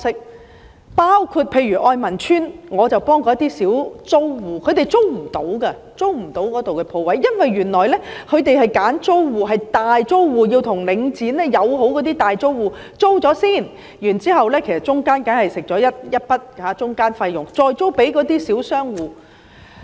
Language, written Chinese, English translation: Cantonese, 我曾經幫助例如愛民邨的小租戶，他們無法租用那裏的鋪位，因為原來領展會挑選大租戶，這些與領展友好的大租戶先向領展租賃商鋪——中間當然會收取一筆中間費用——然後再出租給小商戶。, I once assisted small shop tenants like those in Oi Man Estate because they could not rent the shops there . It turned out that Link REIT would pick large tenants . These large tenants on good terms with Link REIT would first rent shops from Link REIT―of course intermediary fees would be charged―then rent them out to small commercial tenants